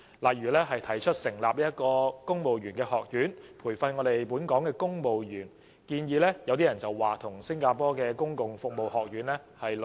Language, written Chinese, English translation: Cantonese, 例如，特首提出成立公務員學院培訓本港公務員，有人認為跟新加坡公共服務學院的概念相似。, For instance the Chief Executive proposed establishing a new civil service college for the training of our civil servants . Some people hold that the college is similar to the concept of the Civil Service College in Singapore